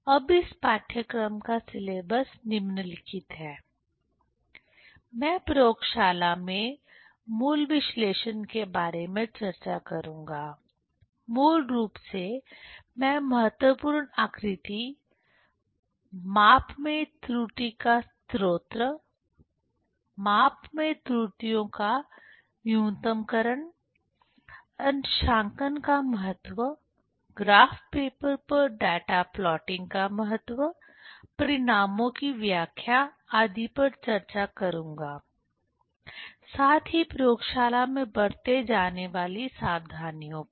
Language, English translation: Hindi, Now syllabus of this course are the following: I will discuss about the basic analysis in the laboratory, basically I will discuss significant figure, source of error in the measurement, minimization of errors in the measurement, importance of calibration, importance of data plotting in graph papers, interpretation of results, as well as precautions in the laboratory